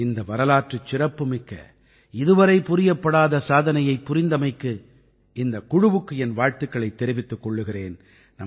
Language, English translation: Tamil, I commend the team for this historic and unprecedented achievement